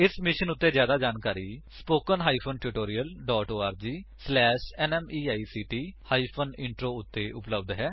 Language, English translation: Punjabi, More information on this mission is available at spoken HYPHEN tutorial DOT org SLASH NMEICT HYPHEN Intro